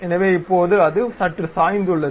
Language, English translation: Tamil, So, now, it is slightly tilted